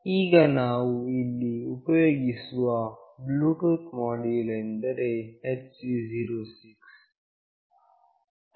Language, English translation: Kannada, Now, the Bluetooth module that we are using here is HC 06